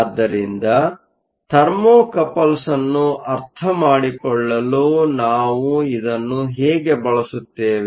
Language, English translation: Kannada, So, how do we use this in order to understand Thermocouples